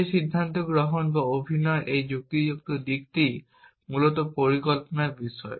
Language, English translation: Bengali, That decision making or this reasoning side of acting is what planning is all about essentially